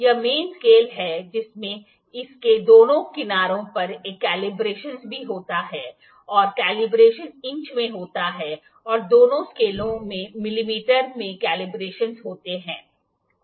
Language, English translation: Hindi, This is the main scale it has also a calibrations on both of its sides and in the calibrations are in inches and in mm in both scales the calibrations are there